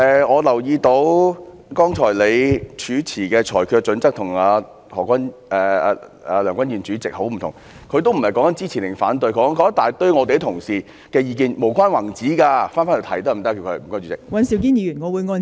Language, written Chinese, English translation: Cantonese, 我留意到妳剛才主持的裁決準則與梁君彥主席很不同，何君堯議員也不是在說支持或反對，他只在不斷批評我們一些同事，是無關宏旨的意見，可否請他返回這項議題？, I note that you have adopted very different ruling criteria from those of President Andrew LEUNG . Dr Junius HO was not speaking whether or not he supported the motion . He just kept on criticizing some of our colleagues and he was talking about some irrelevant viewpoints